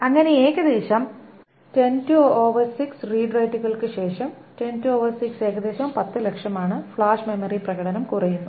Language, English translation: Malayalam, So, after about 10 to the hour 6 read rides, 10 to over 6 is about 10 lakhs, the flash memory performance degrades